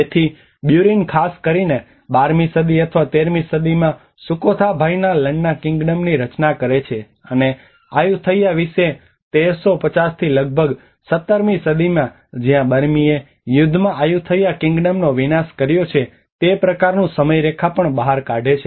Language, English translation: Gujarati, So Burin also works out the kind of timeline especially in 12th century or 13th century where the Sukhothai has frames the Lanna Kingdom and about Ayutthaya which is the 1350 to almost 17th century where the Burmese have devastated the Ayutthaya Kingdom in the war